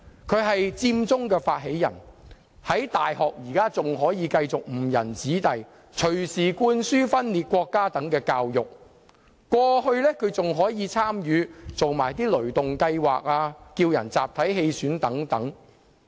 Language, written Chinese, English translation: Cantonese, 他是佔中發起人，現時仍繼續在大學誤人子弟，隨時灌輸分裂國家等教育，而過去亦曾參與"雷動計劃"或叫人集體棄選等。, He is an initiator of the Occupy Central movement . He is still leading students astray in the university by instilling secession ideas presently . He has participated in the ThunderGo campaign and proposed collective withdrawal from the election